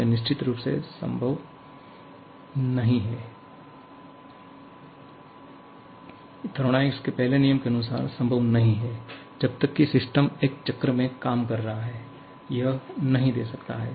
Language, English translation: Hindi, it is definitely not possible as per the first law of thermodynamics as long as the system is operating in a cycle, it cannot give